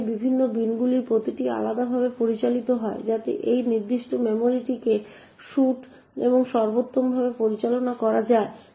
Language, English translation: Bengali, Now each of these different bins are managed in a different way, so as to suite and best manage that particular memory